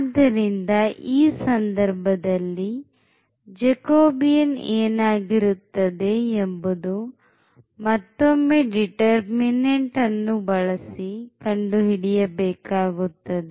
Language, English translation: Kannada, So, in this case we have this Jacobian now which we can compute by this determinant